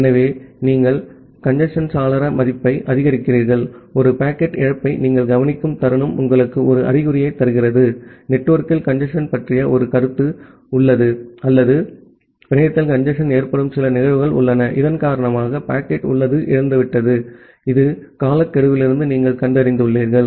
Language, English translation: Tamil, So, you increase the congestion window value, the moment you observe a packet loss that gives you an indication that well, there is a notion of congestion in the network or there is some occurrences of congestion in the network, because of which the packet has lost, which you have detected from a timeout